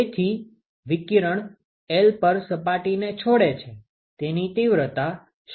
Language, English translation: Gujarati, So, what will be the intensity with which the radiation leaves the surface at L